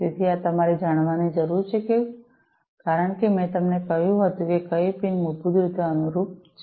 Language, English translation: Gujarati, So, this you need to know as I told you that which pin basically corresponds to what